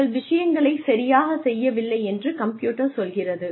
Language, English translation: Tamil, The computer tells you that you are not doing things, right